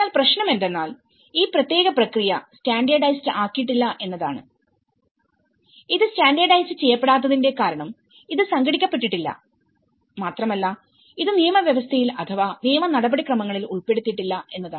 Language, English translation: Malayalam, But the problem is this particular process has not been standardized, the reason why it has not been standardized is it has not been recognized, it has not been incorporated in the legal system, legal procedures